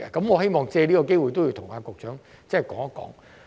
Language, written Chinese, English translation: Cantonese, 我希望藉此機會向局長提出。, This is what I wish to take this opportunity to highlight to the Secretary